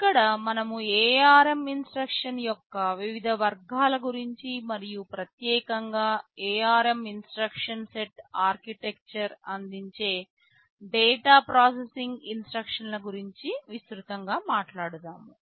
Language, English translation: Telugu, Here we shall be broadly talking about the various categories of ARM instructions and in particular the data processing instructions that are provided by the ARM instruction set architecture